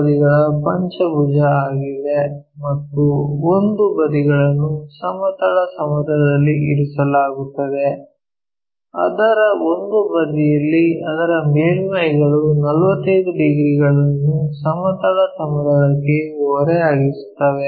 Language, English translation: Kannada, So, it is a pentagon of 30 mm side and one of the side is resting on horizontal plane, on one of its sides with its surfaces 45 degrees inclined to horizontal plane